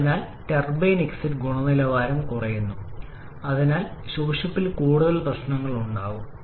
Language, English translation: Malayalam, So, the turbine exit quality is reducing and therefore there will be added problem with erosion